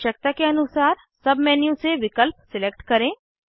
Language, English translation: Hindi, Select options from the sub menu, according to the requirement